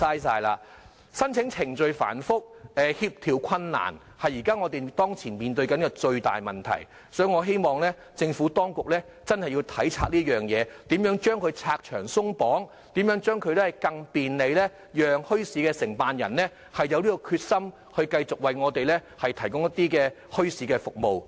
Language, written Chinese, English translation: Cantonese, 申請程序繁複，協調困難是現時面對的最大問題，所以，我希望政府當局要體察此事，拆牆鬆綁，使申辦墟市更便利，令承辦人有決心繼續為我們提供墟市服務。, The biggest problem right now involves the complicated application procedures and the coordination difficulties . Therefore I hope that the Administration will take note of the problems and remove various restrictions so that application for organizing bazaars will become more convenient and organizers will be committed to providing us with bazaar services